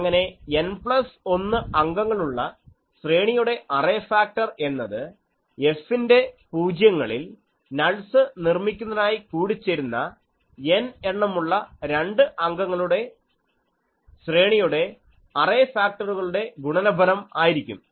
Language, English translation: Malayalam, Thus we say that the array factor of an n plus 1 element array is the product of the array factor of capital N number of two element arrays superimposed to produce nulls at the zeroes of F